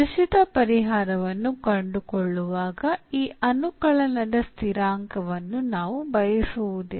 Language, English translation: Kannada, So, while finding the particular solution, we do not want this constant of integration also